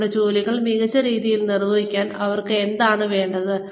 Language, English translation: Malayalam, What do they need, to perform their jobs better